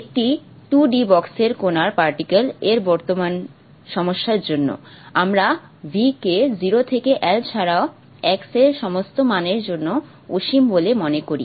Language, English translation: Bengali, And for the current problem of particle in the 2D box, we consider v to be infinite for all values of x other than from 0 to l and all values of y from 0 to some other